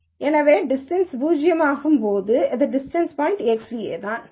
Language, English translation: Tamil, So, the distance is zero then the point is X nu itself